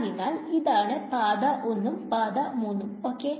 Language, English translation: Malayalam, So, this was for path 1 and path 3 ok